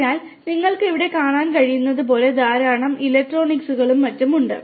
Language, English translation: Malayalam, So, as you can see over here there is lot of electronics and so on